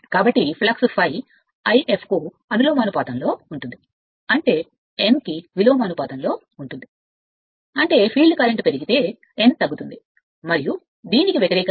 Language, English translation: Telugu, So, flux is proportional to I f; that means, n is inversely proportional to I f right; that means, if field current increases n decreases and vice versa